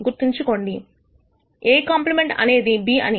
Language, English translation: Telugu, Remember, A complement is nothing, but B